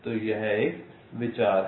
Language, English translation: Hindi, ok, so this is the idea